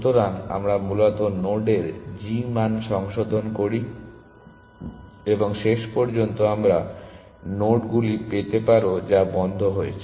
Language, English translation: Bengali, So, essentially we revise g values of node essentially and lastly you may get nodes which are on closed